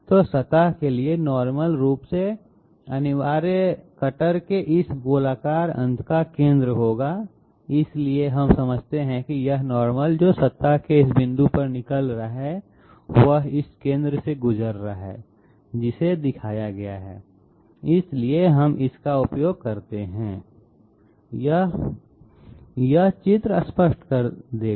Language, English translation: Hindi, So the normal to the surface will essentially contain the centre of this spherical end of the cutter, so we understand that this normal which is emanating out at this point of the surface it is passing through this centre which is shown, so we make use of this This figure will make it clear